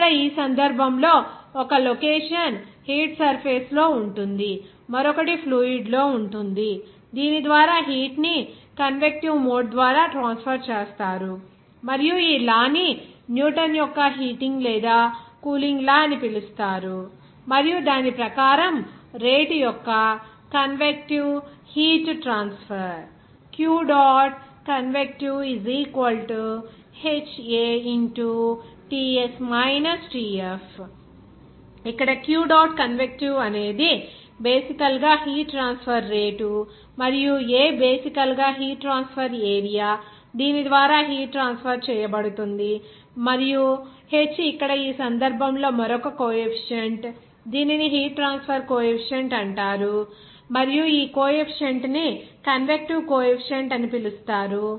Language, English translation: Telugu, Here in this case, one location will be in the hot surface and other will be in the fluid by which that heat will be transferred by convective mode and this law is called the Newton's law of heating or cooling and according to that, the rate of convective heat transfer can be expressed as Here Q dot convect is basically heat transfer rate and A is basically heat transfer area through which the heat will be transferred and h here in this case another coefficient, this is called coefficient of heat transfer and this coefficient is called convective heat transfer coefficient and the temporary here Ts it is basically the surface temperature from which heat will be transferred or on which the heat will be gained by that object from the surrounding and Tf is the bulk fluid temperature away from the surface by which the convection of the heat will be there